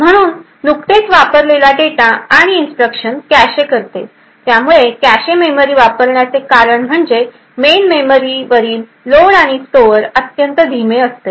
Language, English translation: Marathi, So, a cache memory sits between the processor and the main memory so it caches recently used data and instructions so the reason for the cache memory is that loads and stores from the main memory is extremely slow